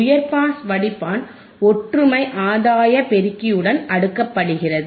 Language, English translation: Tamil, High pass filter is cascaded with unity gain amplifier right